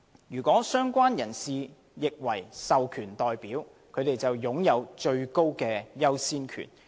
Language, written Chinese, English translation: Cantonese, 如"相關人士"亦為"獲授權代表"，便擁有最高優先權。, A related person will have the highest priority if heshe is also an authorized representative